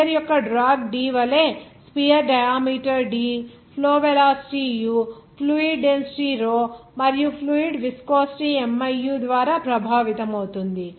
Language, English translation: Telugu, Like the drag D of a sphere is influenced by sphere diameter d flow velocity u fluid density row and fluid viscosity miu